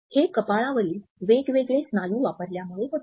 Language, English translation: Marathi, Now, this is caused by using different muscles in the forehead